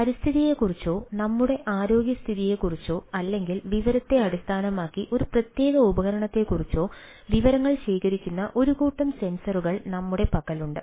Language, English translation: Malayalam, we have a set of sensors which ah senses or accumulates information about environment, about our health condition or about ah a particular device or so and so forth, and ah based on the informations